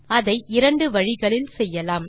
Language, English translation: Tamil, There are two ways of doing it